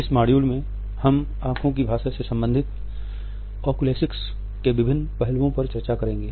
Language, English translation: Hindi, In this module, we will discuss Oculesics or different aspects related with the language of eyes